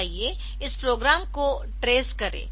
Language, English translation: Hindi, So, let us trace this program